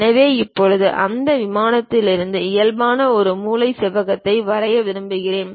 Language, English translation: Tamil, So, now I would like to draw a corner rectangle for that normal to that plane